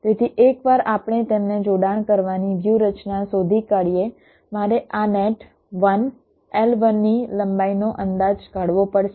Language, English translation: Gujarati, so once we find out a strategy of connecting them, i have to estimate the length of this net, one l one